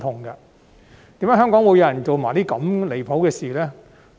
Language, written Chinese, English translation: Cantonese, 為何香港會有人做出如此離譜的事情呢？, Why did Hong Kong people commit such outrageous acts?